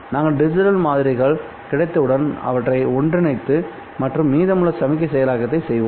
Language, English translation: Tamil, Once you have sampled, you combine the digital samples and perform the rest of the signal processing